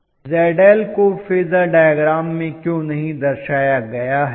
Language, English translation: Hindi, Why Zi is not represented in the phasor diagram